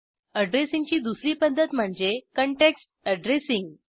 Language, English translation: Marathi, Line addressing and context addressing